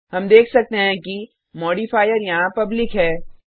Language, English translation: Hindi, We can see that the modifier here is public